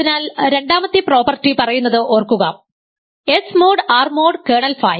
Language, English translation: Malayalam, So, second property says that remember, what is the second statement that S mod R mod kernel phi